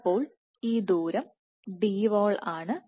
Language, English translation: Malayalam, So, this distance is Dwall